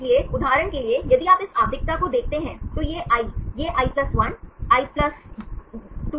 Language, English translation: Hindi, So, for example, if you see this periodicity this is i, this i+1, i+2, i+3, i+4 and i+5